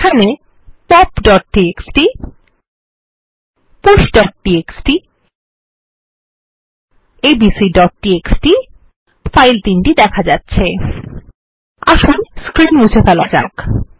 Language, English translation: Bengali, Here are the files pop.txt, push.txt and abc.txt Let us clear the screen